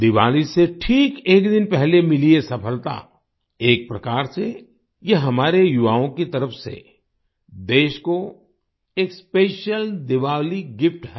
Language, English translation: Hindi, This success achieved just a day before Diwali, in a way, it is a special Diwali gift from our youth to the country